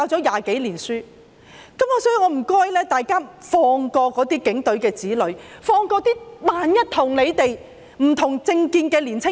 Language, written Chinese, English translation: Cantonese, 因此，我請大家放過警員的子女，放過那些與他們不同政見的年青人。, Hence I implore Members to spare the children of police officers and young people of political opinions different from theirs